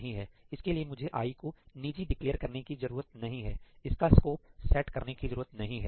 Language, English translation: Hindi, So, I do not need to declare i to be private; I do not need to scope it